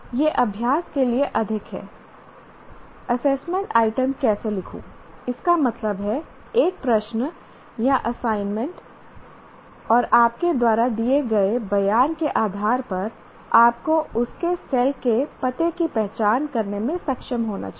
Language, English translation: Hindi, How do I look, I write an assessment item, that means a question or an assignment, and based on the statement that you make, you should be able to identify the cell address of that